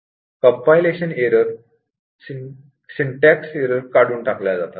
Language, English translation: Marathi, So, compilation errors have been removed, syntax errors